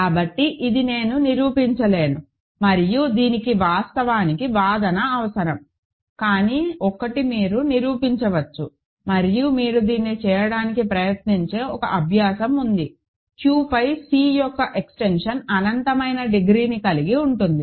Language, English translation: Telugu, So, this is reflected in the fact that, this I will not prove and it requires actually argument, but one can prove this and there is an exercise you can try to do this is that the extension of C over Q has infinite degree